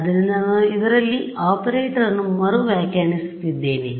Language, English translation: Kannada, So, I am redefining the operator in this